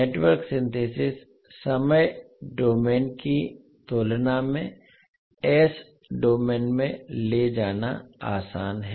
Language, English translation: Hindi, So Network Synthesis is easier to carry out in the s domain than in the time domain